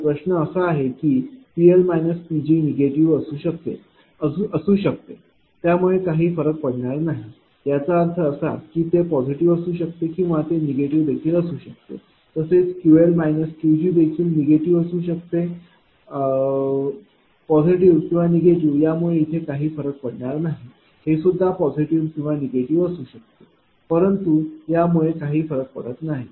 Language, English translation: Marathi, So, this is that your resultant right So, question is that P L minus P g may be negative does not matter, it does not mean that it will be positive it will be negative, Q L minus Q g also it may become negative it does not matter positive or negative this one also positive or negative it does not matter right